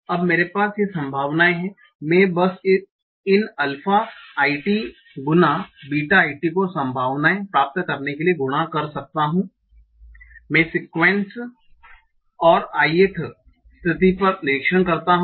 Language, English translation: Hindi, I can simply multiply these alpha a tt times betaa t to get the probability that I observe this sequence and the i th state